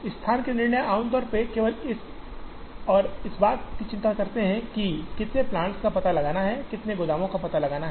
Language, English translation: Hindi, The location decisions usually concern only this and this, how many plants to locate, how many warehouses to locate